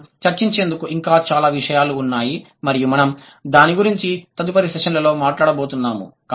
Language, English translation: Telugu, There are more to add into the discussion and we are going to talk about it in the next sessions